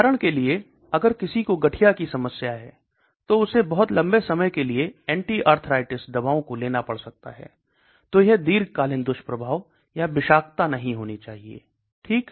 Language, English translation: Hindi, For example, if somebody has an arthritis problem they may have to take the anti arthritis drugs for a very, very long time, so it should not have long term side effects or toxicity okay